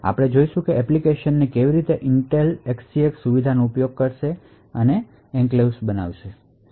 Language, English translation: Gujarati, We will look at how applications would use the Intel SGX feature and we create enclaves